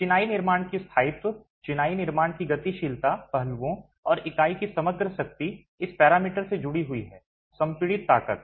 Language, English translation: Hindi, Durability of the masonry construction, serviceability aspects of the masonry construction and the overall strength of the unit is linked to this parameter compressive strength